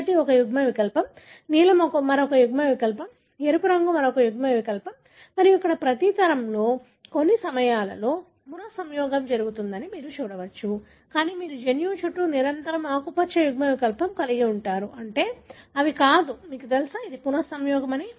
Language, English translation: Telugu, The allele green is one allele, the blue is another allele, red is another allele and you can see that in every generation there, at times there are recombination but you can see around the gene you invariably have the green allele, meaning they are not separated by, you know, the recombination